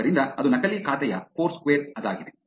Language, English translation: Kannada, So, that is the fake account foursquare